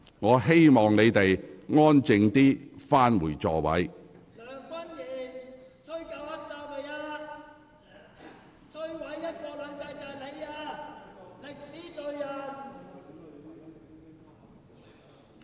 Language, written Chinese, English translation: Cantonese, 我請你們安靜返回座位。, You are requested to return to your seats quietly